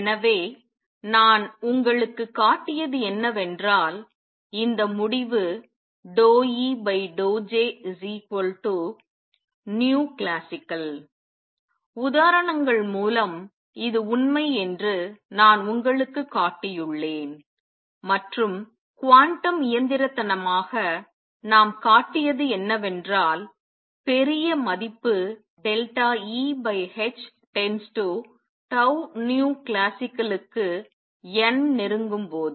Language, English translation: Tamil, So, what I have shown you is that this result d E by d J is equal to nu classical through examples I have shown you that this is true and quantum mechanically, what we have shown is that as n approaches to large value delta E over h goes to tau times nu classical